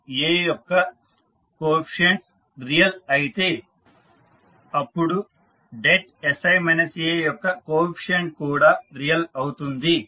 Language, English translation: Telugu, So, coefficient of A are real then the coefficient of sI minus A determinant will also be real